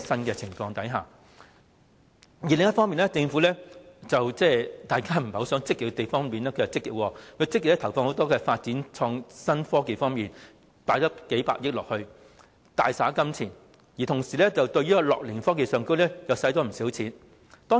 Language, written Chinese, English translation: Cantonese, 另一方面，大家不想政府太過積極的地方，政府反而做得積極，積極投放數百億元發展創新科技，大灑金錢，同時對樂齡科技方面亦花了不少金錢。, On the other hand the Government is quite pro - active in realms that people do not want it to be that enthusiastic such as allocating several tens of billions of dollars and making lavish expenditure in the development of innovative technology . And at the same time it spends quite a lot of money on gerontechnology